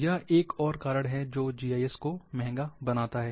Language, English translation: Hindi, This makes another reason for GIS to become expensive